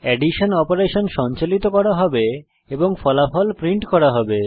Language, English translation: Bengali, The addition operation will be performed and the result will be printed